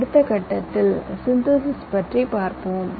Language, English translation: Tamil, in the next step you go for synthesis